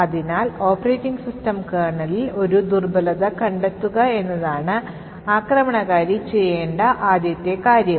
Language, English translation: Malayalam, So, the first thing as we know the attacker should be doing is to find a vulnerability in the operating system kernel